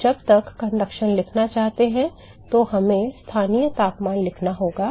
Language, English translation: Hindi, Now when you want to write conduction we have to write the local temperature